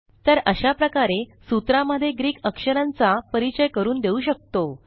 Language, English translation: Marathi, So this is how we can introduce Greek characters in a formula